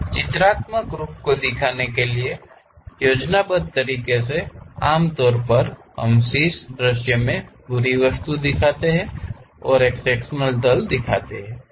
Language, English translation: Hindi, To represent in a pictorial way, the schematic usually we show the complete object in the top view and there is a section plane